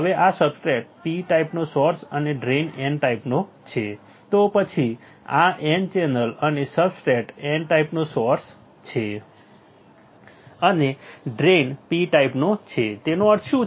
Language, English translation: Gujarati, Now this substrate P type source and drain are n type, then this n channel and the substrate is n type right source and drain are of P type what does it mean